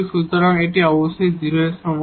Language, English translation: Bengali, So, we have the 0